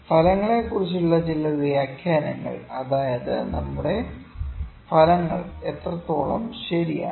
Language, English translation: Malayalam, Some interpretation about the results that are to what extent are our results correct